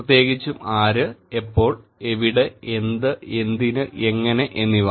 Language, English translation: Malayalam, Particularly; who, when, where, what, why, and how